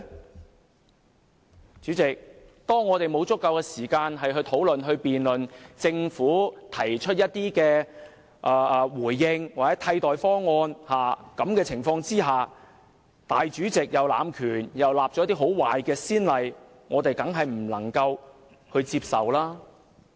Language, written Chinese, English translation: Cantonese, 代理主席，當我們沒有足夠時間討論、辯論政府的回應或替代方案，立法會主席又濫權，開壞先例，我們當然不能接受。, Deputy President when we do not have sufficient time to discuss or debate the replies of the Government or alternative proposals and the President of the Legislative Council abuses his power and sets bad precedents we certainly find the arrangement unacceptable